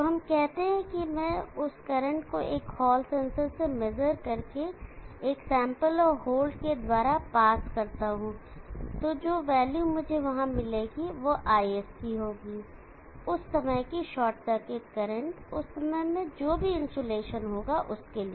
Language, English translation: Hindi, So let us say I measure that current through a hall sensor pass A through a sample and hole, and the value that I would get there would be ISC, the short circuit current and that instant of time whatever the insulation at that instant of the time